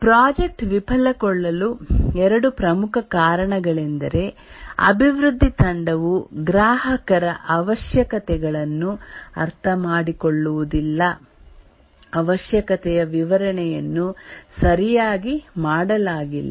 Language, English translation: Kannada, Two major reasons why the project fails is that the development team doesn't understand the customer's requirements